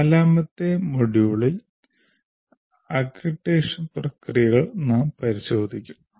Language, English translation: Malayalam, So we will, in the fourth module we will look at the accreditation processes